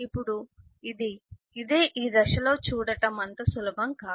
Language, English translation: Telugu, now this is this, is this is not easy to see